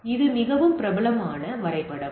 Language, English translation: Tamil, So, this is the very popular diagram